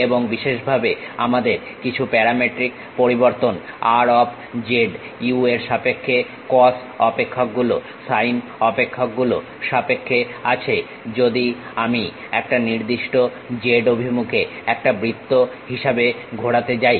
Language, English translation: Bengali, And, especially we have some parametric variation r of z in terms of u in terms of cos functions sin functions if I am going to revolve as a circle along one particular z direction, we will get the object which we call revolved surfaces